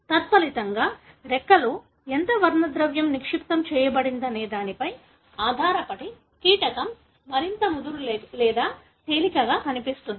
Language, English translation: Telugu, As a result, the insect would look more darker or lighter depending on how much pigment is deposited in the wing